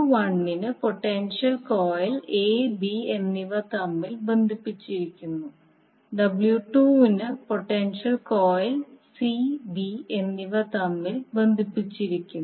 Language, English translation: Malayalam, So for W 1 the potential coil is connected between a and b and for W 2 the potential coil is connected between c and b